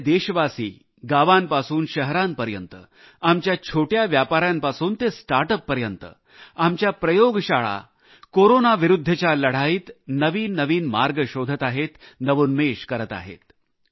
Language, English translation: Marathi, A multitude of countrymen from villages and cities, from small scale traders to start ups, our labs are devising even new ways of fighting against Corona; with novel innovations